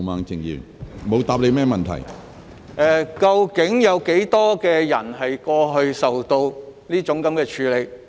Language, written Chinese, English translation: Cantonese, 教育局究竟有多少人過去曾受到這樣處罰？, How many people in EDB had been punished in this way in the past?